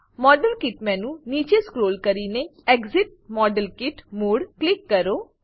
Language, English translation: Gujarati, Scroll down the model kit menu and click exit model kit mode